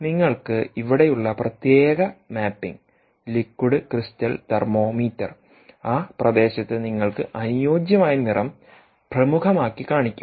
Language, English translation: Malayalam, based on the colour that it maps to one of them in the liquid crystal thermometer will highlight in that region corresponding colour you take